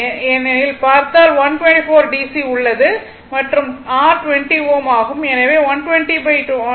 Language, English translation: Tamil, Because, if you look into that that 124 DC is there and your R is 20 ohm